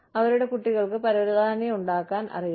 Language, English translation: Malayalam, Their children know, how to make carpets